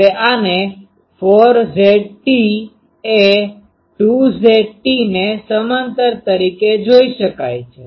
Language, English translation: Gujarati, Now, this can be seen as 2 Z t parallel to 4 Z a